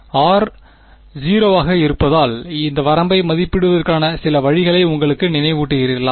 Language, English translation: Tamil, Is there some does are you reminded of some way of evaluating this limit as r tends to 0